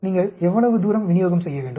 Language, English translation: Tamil, How far you have to deliver